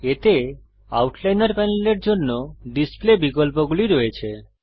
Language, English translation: Bengali, It contains the display options for the outliner panel